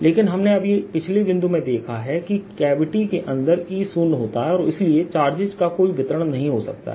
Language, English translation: Hindi, but we just seen the previous point that e zero inside the gravity and therefore they cannot be a distribution of charge